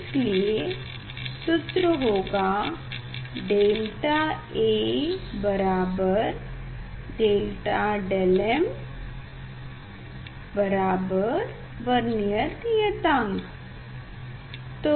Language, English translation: Hindi, this half is going and delta A equal to delta del m equal to Vernier constant